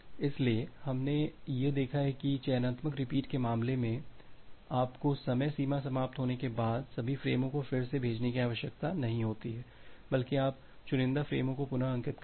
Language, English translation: Hindi, So, what we have seen that in this particular case in case of selective repeat, you do not need to need to retransmit all the frames once there is a timeout, rather you selectively retransmit the frames